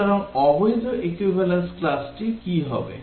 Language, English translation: Bengali, So, what will be the invalid equivalence class